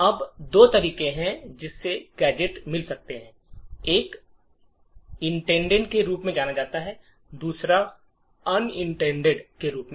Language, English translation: Hindi, Now there are two ways gadgets can be found one is known as intended and the other is known as unintended